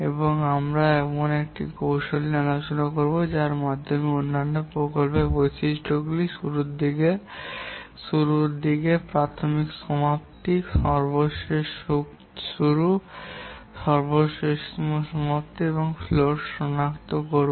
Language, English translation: Bengali, And we will now discuss a technique by which we will identify the other project attributes like earliest start, earliest finish, latest start, latest finish, and the float